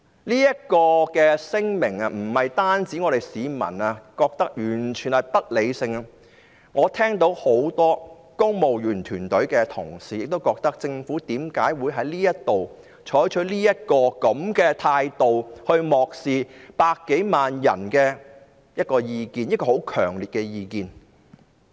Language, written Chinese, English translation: Cantonese, 這份聲明不僅市民覺得完全不合理，我亦聽到很多公務員團隊同事的意見，表示政府為何會採取這樣的態度，漠視百多萬人強烈的意見？, Not only did members of the public find this statement totally unreasonable many colleagues in the civil service also queried why the Government had taken such an attitude to ignore the strong views expressed by more than 1 million people